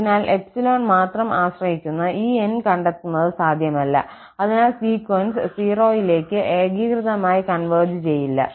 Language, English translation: Malayalam, So, hence it is not possible to find this N which depends only on epsilon and therefore the sequence does not converge uniformly to 0